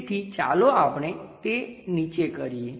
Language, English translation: Gujarati, So, let us do that down